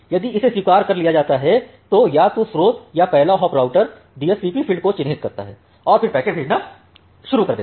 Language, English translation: Hindi, If it is accepted then either the source or the fist hop router will mark the DSCP field, and start sending the packet